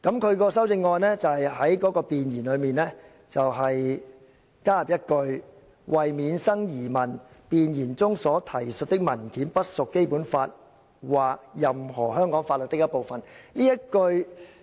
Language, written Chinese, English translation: Cantonese, 他的修正案建議在弁言加入一句"為免生疑問，弁言中所提述的文件不屬《基本法》或任何香港法律的一部分。, He proposed in his amendment adding to the Preamble To avoid doubt the instruments referred to in the preamble of this Ordinance do not form part and parcel of the Basic Law or any laws of Hong Kong